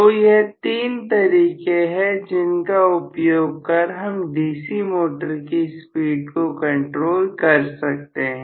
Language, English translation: Hindi, So these are the 3 ways of speed control in the DC motor